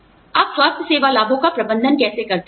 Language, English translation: Hindi, How do you manage healthcare benefits